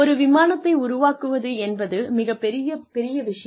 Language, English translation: Tamil, Building an Airplane is big